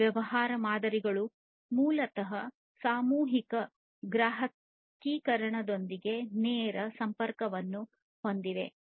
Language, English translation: Kannada, So, business models basically have direct linkage with the mass customization